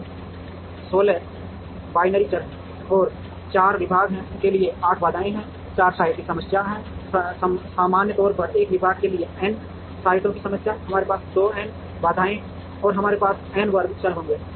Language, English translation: Hindi, So, there are 16 binary variables and there are 8 constraints for a 4 department, 4 site problem, in general for a n department, n sites problem we have 2 n constraints and we will have n square variables